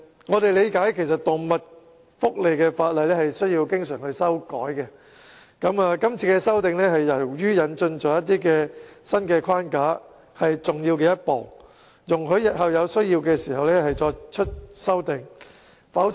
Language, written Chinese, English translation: Cantonese, 我們明白，動物福利法例需要經常更新，而這次修訂由於引入了新框架，是重要的一步，使日後有需要時可再作修訂。, We understand that animal welfare laws need to be updated frequently and the current amendment is a significant step forward because a new framework is introduced and further amendments can be made in future when necessary